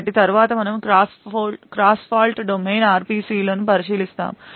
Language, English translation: Telugu, So next we will look at the cross fault domain RPCs